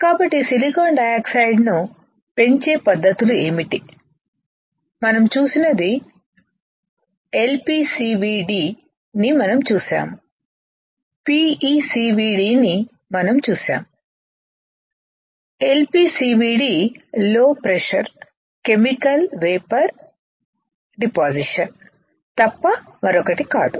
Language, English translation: Telugu, So, what are the techniques for growing the silicon dioxide, we have seen that one we have seen is LPCVD, we have seen is PECVD, LPCVD is nothing but Low Pressure Chemical Vapor Deposition